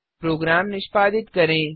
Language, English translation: Hindi, Execute as before